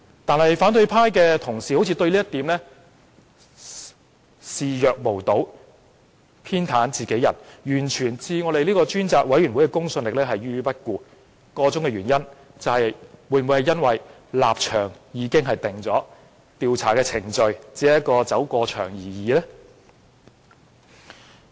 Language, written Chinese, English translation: Cantonese, 但是，反對派同事對這點視若無睹，偏袒自己人，完全置專責委員會的公信力於不顧，箇中原因是否立場已定，調查程序只是走過場而已？, However colleagues of the opposition camp simply turned a blind eye to this situation and stand by his side ignoring completely the credibility of the Select Committee . Is it because they have already taken side and the investigation is nothing but a gesture?